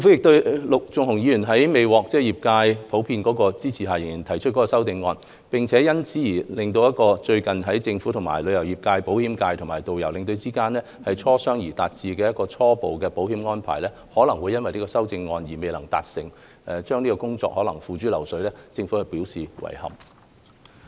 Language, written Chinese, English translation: Cantonese, 對於陸頌雄議員在未獲業界普遍支持下仍提出修正案，並因此而令最近政府與旅遊業界、保險界及導遊和領隊間經磋商而達致的初步保險安排，可能因修正案而未能達成，工作可能會付諸流水，政府對此表示遺憾。, Given that Mr LUK Chung - hung has proposed his amendments without getting a general support from the trade his move may force the Government the travel trade the insurance sector tourist guides and tour escorts to drop the preliminary insurance arrangement that we have recently agreed on after negotiation and our efforts may hence be in vain . The Government finds this deeply regrettable